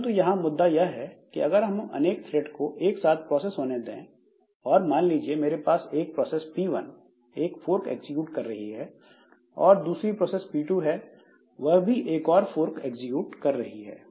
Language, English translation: Hindi, But the point is that if we allow multiple threads, then the difficulty that we get is suppose I have got a process P1 which is executing a fork, I have got a process P2 which is also executing a fork